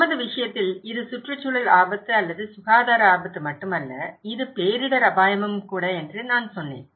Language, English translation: Tamil, In our case, as I said it’s not only environmental risk or health risk, it’s also disaster risk